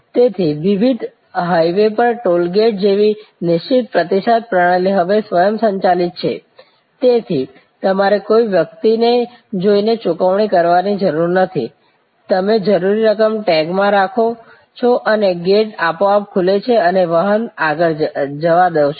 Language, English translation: Gujarati, So, fixed response system like say toll gate at various, on high ways are now automated, so you do not have to go and pay to a person, you throw some coins of the requisite amount and the gate automatically opens and you drive through